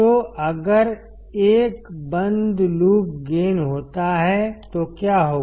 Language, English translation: Hindi, So, what if there is a closed loop gain